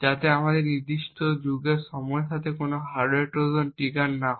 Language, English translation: Bengali, Now beyond this epoch period we are not certain whether a hardware Trojan may get triggered or not